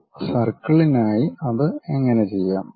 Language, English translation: Malayalam, How to do that for a circle let us learn that